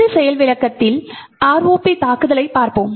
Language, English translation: Tamil, In this demonstration we will looking at ROP attack